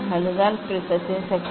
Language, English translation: Tamil, that is the power of prism